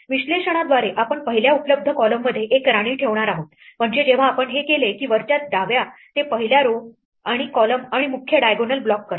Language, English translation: Marathi, By our analysis we are going to put a queen in the first available column, namely the top left once we do this; it blocks out the first row and column and the main diagonal